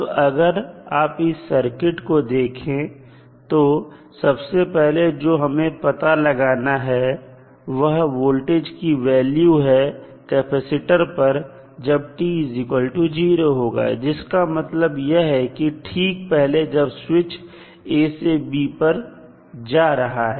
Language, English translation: Hindi, Now, if you see this particular circuit, the value which you need to first find out is what is the value of the voltage across capacitor at time is equal to 0 minus means just before the switch was thrown from a to b